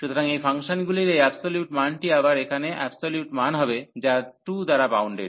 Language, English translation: Bengali, So, this absolute value of these functions will be again the absolute value here, which is bounded by 2